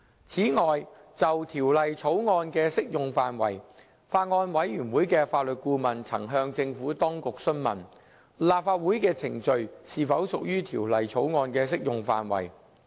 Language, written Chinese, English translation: Cantonese, 此外，就《條例草案》的適用範圍，法案委員會的法律顧問曾向政府當局詢問，立法會的程序是否屬於《條例草案》的適用範圍。, Moreover as to the scope of application of the Bill the Legal Adviser to the Bills Committee enquired whether the proceedings of the Legislative Council were applicable proceedings for the purposes of the Bill